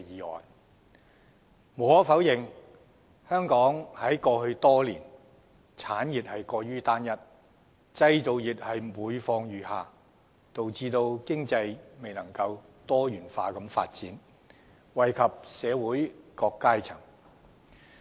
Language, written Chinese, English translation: Cantonese, 無可否認，香港過去多年的產業發展過於單一，製造業每況愈下，導致經濟未能多元發展，惠及社會各階層。, Undeniably industries in Hong Kong have become overly homogenous over the years . The decline of manufacturing industry hinders economic diversification to bring benefits to all strata of society